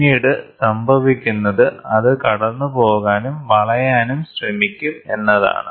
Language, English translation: Malayalam, So, then what will happen is it will try to pass through and bend